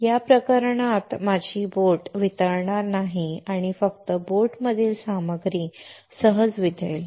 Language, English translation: Marathi, In this case my boat will not melt and only the material within the boat will melt easy